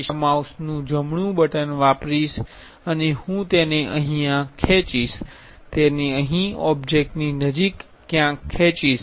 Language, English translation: Gujarati, So, I will use right button of my mouse and I will drag it here, drag it here somewhere near to the object